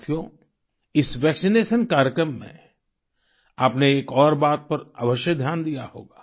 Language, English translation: Hindi, in this vaccination Programme, you must have noticed something more